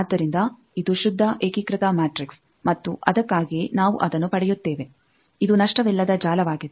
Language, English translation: Kannada, So, it is a pure unitary matrix and that is why we get that this is the lossless network